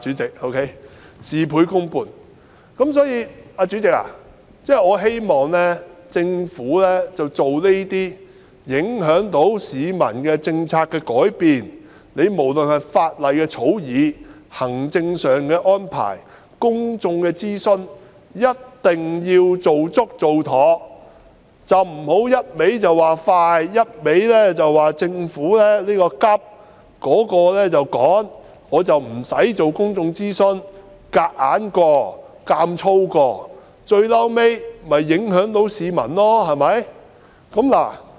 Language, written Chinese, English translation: Cantonese, 因此，代理主席，我希望政府要改變這些影響市民的政策時，無論是法例的草擬、行政安排或公眾諮詢，一定要做足做妥，不要只管快、只說要趕急做而不進行公眾諮詢，強硬地通過，最終只會影響市民。, In this connection I hope that when the Government introduces changes to these policies which will affect the public work must be carried out comprehensively and properly whether in respect of law drafting administrative arrangements or public consultation . Do not just stress on taking speedy actions and getting things done expeditiously without conducting public consultation for forcing anything through would only render the public affected at the end of the day